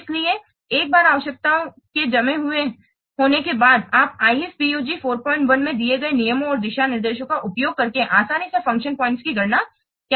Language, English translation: Hindi, So, once the requirements have been frozen, then you can easily count the function points by using the rules and guidelines provided in IFPUJ 4